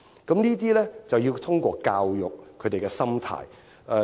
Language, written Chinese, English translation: Cantonese, 我們要透過教育，改變他們的心態。, We have to change their mindset through education